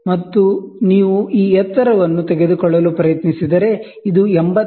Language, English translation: Kannada, And if you try to take this drop this height, this will be 86